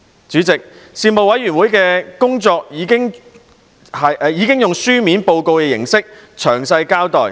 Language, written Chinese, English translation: Cantonese, 主席，事務委員會的工作已在書面報告中詳細交代。, President the details of the work of the Panel are set out in the report